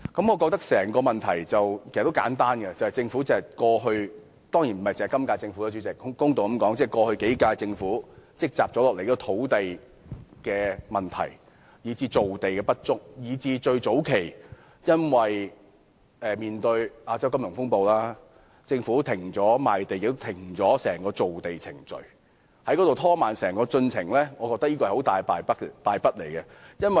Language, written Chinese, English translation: Cantonese, 我覺得整個問題其實很簡單，就是政府——主席，當然不只是今屆政府，公道地說，也是過去數屆政府——積壓下來的土地問題，以致造地不足，加上早期為應對亞洲金融風暴，政府停止了賣地及整個造地程序，整個進程因而被拖慢，我認為是一大敗筆。, I find the entire issue just very plain land problems have been piling up by the Government―Chairman it of course is not only the current - term Government and to be fair it also refers to the governments of the last few terms―resulting in this shortage of land supply . Moreover previously to tackle the Asian financial turmoil the Government ceased the entire process of land sale and formation thereby slowing down the whole progress . I think it is a huge blunder